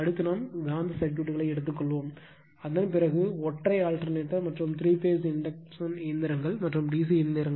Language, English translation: Tamil, Next we will take the magnetic circuits and after that a little bit of single phase transformer and , little bit of three phase induction machines and d c machines so